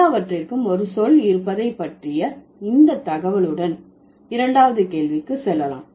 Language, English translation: Tamil, So, with these information about the having a word for everything, let's go to the second question